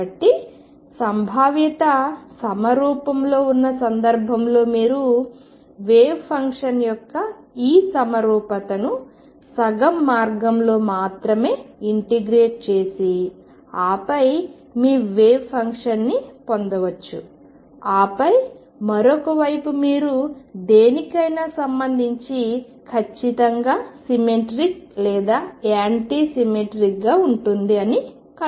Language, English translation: Telugu, So, in the case where the potential is symmetric you can make use of this symmetry of the wave function to integrate only half way and then pick up your wave function and then the other side is exactly either symmetric or anti symmetric with respect to whatever you have found